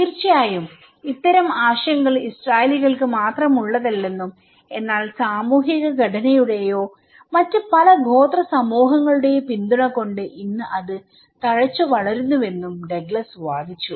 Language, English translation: Malayalam, Douglas was, of course, arguing that such concerns are not unique to the Israelis but thrive today in support of social structure or many other tribal societies